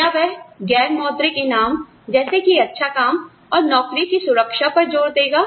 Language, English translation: Hindi, Or, will it stress, non monetary rewards, such as interesting work, and job security